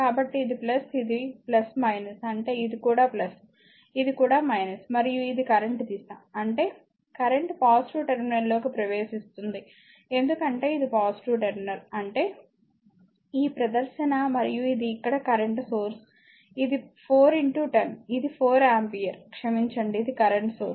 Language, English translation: Telugu, So, this plus this is plus minus means this is also plus, this is also minus and this is the direction of the current; that means, current is entering into the positive terminal because this is positive terminal; that means, this show and this here it is your what you call here, it is this is your current source sorry this is 4 into 10, it is your 4 ampere sorry it is current source